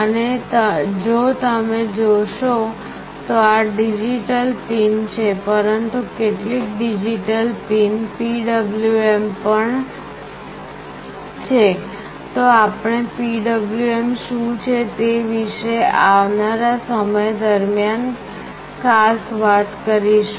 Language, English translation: Gujarati, And if you see these are digital pins, but some of the digital pins are also PWM, we will look into this specifically what is PWM in course of time